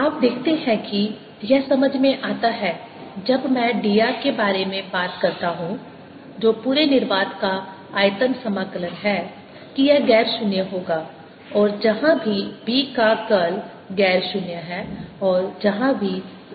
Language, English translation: Hindi, now you see it make sense when i talk about d r, which is the volume integral over the entire space, that it'll be non zero wherever curl of b is non zero and where are wherever a is non zero